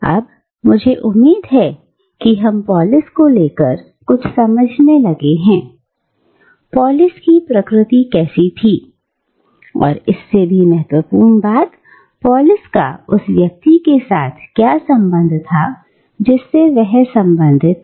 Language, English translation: Hindi, Now, I hope, we have arrived at some understanding of what polis, what the nature of polis was, and more importantly, what was an individual’s connection with the polis, to which he belonged